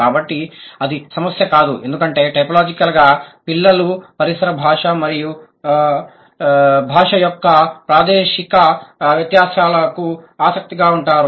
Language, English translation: Telugu, So, that's not a problem for typologically a child, the children are sensitive to the spatial distinctions of the ambient language